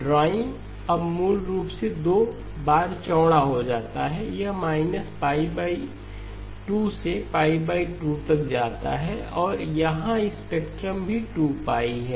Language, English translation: Hindi, The drawing now becomes basically it becomes twice as wide, it goes from minus pi by 2 to pi by 2 and the spectrum here also is 2pi